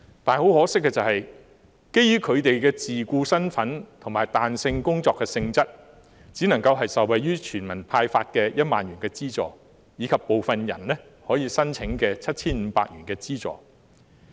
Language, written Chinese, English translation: Cantonese, 但很可惜，基於他們的自僱身份及彈性工作性質，今次只能夠受惠於全民獲派發的1萬元資助，以及部分人可以申請到 7,500 元資助。, Yet regrettably owing to their capacity as self - employed persons and flexible job nature this time they can only benefit from the 10,000 disbursed to all members of the public and some of them can apply for the financial assistance of 7,500